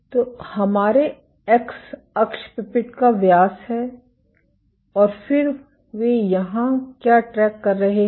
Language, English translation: Hindi, So, our x axis is the pipette diameter and then what they are tracking here